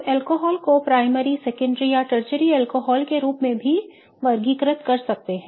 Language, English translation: Hindi, We also classify alcohols as primary, secondary or tertiary alcohols